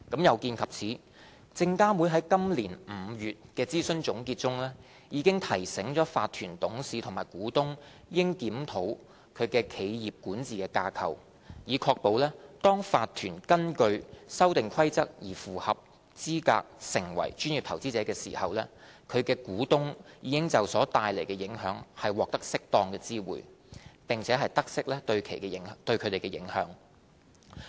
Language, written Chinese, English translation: Cantonese, 有見及此，證監會在今年5月的諮詢總結中，已提醒法團董事或股東應檢討其企業管治架構，以確保當法團根據《修訂規則》而符合資格成為專業投資者時，其股東已就所帶來的影響獲適當知會，並得悉對其的影響。, In view of this SFC has committed in the consultation conclusions of May this year to remind directors and shareholders of a corporation to review the corporate governance structure . This is to ensure that shareholders of a corporation are properly informed and are aware of the implications when the corporation becomes a PI pursuant to the Amendment Rules